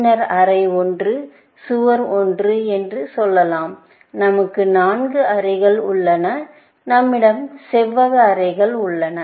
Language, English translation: Tamil, Then, may be, room 1, would say, wall 1, up to, let say, we have 4 rooms; we have rectangular rooms